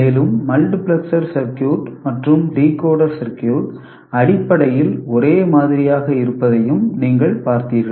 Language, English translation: Tamil, And you also saw that de multiplexer circuit and decoder circuit are essentially same